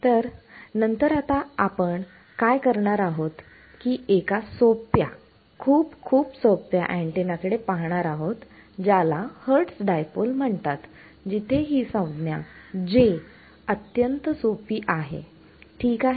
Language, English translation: Marathi, So, what we will do next is we look at a simple; very very simple antenna which is called a Hertz Dipole where this J term is extremely simple ok